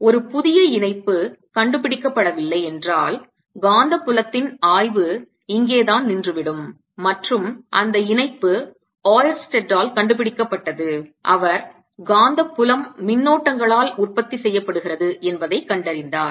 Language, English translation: Tamil, alright, this is where the study of magnetic field would have stopped if a new connection was not found, and that connection was found by oersted, who found that magnetic field is produced by currents